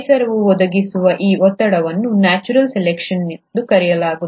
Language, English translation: Kannada, This pressure, which is provided by the environment is what is called as the ‘natural selection’